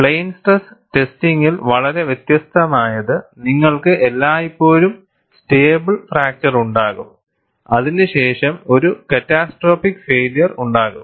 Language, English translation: Malayalam, And what is very distinct in plane stress testing is, you will always have a stable fracture followed by a catastrophic failure